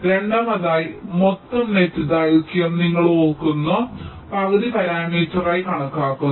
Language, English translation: Malayalam, secondly, the total net length is estimated as the half parameter